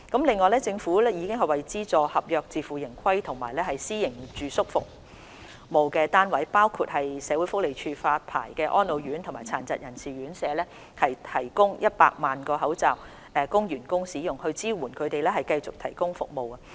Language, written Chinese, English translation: Cantonese, 另外，政府已為資助、合約、自負盈虧及私營住宿服務單位，包括獲社會福利署發牌的安老院及殘疾人士院舍，提供100萬個口罩，供員工使用，以支援他們繼續提供服務。, In addition the Government has provided 1 million masks for the staff of subvented contract self - financing and private residential service units including residential care homes for the elderly and residential care homes for persons with disabilities licensed by the Social Welfare Department so as to assist them to continue to provide services